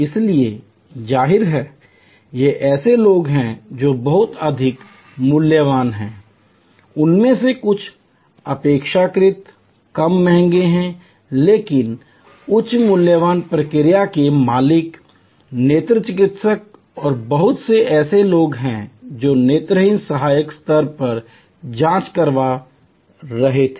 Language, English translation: Hindi, So; obviously, these are people who are very high valued, few of them relatively less expensive, but also high valued process owners, the eye doctors and there were lot of people who were getting screened at the ophthalmic assistant level